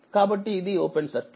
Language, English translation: Telugu, So, it is open circuit